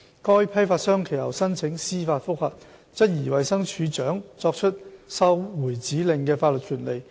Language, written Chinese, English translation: Cantonese, 該批發商其後申請司法覆核，質疑衞生署署長作出收回指令的法律權力。, The wholesaler concerned subsequently applied for leave to challenge by way of judicial review the legal power of the Director to issue the instruction to recall